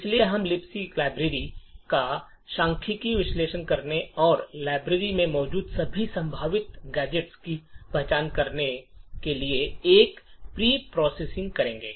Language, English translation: Hindi, So we would do a pre processing by statistically analysing the libc library and identify all the possible gadgets that are present in the library